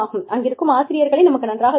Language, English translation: Tamil, We know the teachers